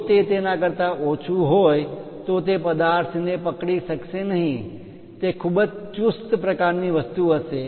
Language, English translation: Gujarati, If it is lower than that it may not hold the object, it will be very tight kind of thing